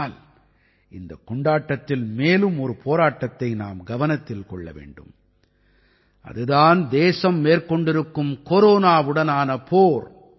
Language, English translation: Tamil, But during this festival we have to remember about one more fight that is the country's fight against Corona